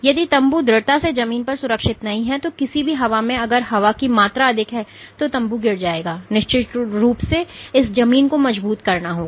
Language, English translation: Hindi, If the tent is not firmly secured to the ground then any wind if there is more amount of wind than the tent will collapse and of course, this has to be firmed ground ok